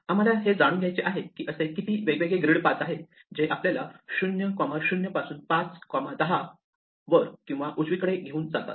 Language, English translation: Marathi, So, we want to know how many such different paths are there which take us from (0, 0) to (5, 10) only going up or right